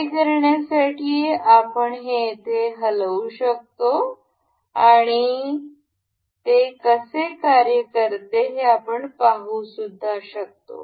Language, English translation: Marathi, To do this, we can move this here and we can see how it works